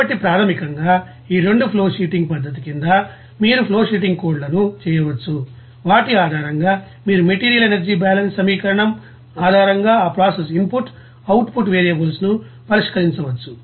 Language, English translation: Telugu, So basically, under these 2 you know flowsheeting you know method you can you know do the flowsheeting codes and based on which you can solve that you know process input and output variables based on their material and energy balance equation